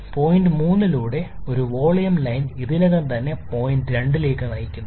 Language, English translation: Malayalam, This line goes like this and through point 3 constant volume line is already there which leads to point 2